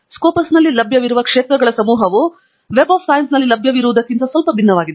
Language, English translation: Kannada, the set of fields that are available in scopus are slightly different from those that are available in web of science